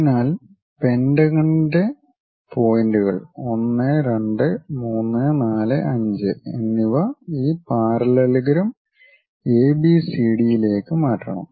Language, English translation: Malayalam, So, the points of the pentagon 1 2 3 4 and 5 we have to transfer that onto this parallelogram ABCD parallelogram